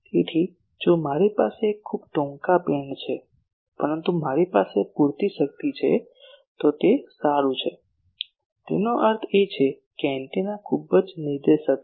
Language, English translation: Gujarati, So, if I have a very short beam, but I have sufficient power then that is good; that means, the antenna is very directive